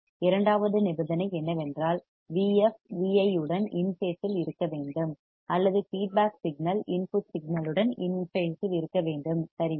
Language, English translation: Tamil, Second condition is that V f should be in phase with V i or the feedback signal should be in phase with the input signal right